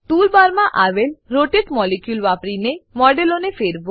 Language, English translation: Gujarati, * Rotate the model using the rotate molecule in the tool bar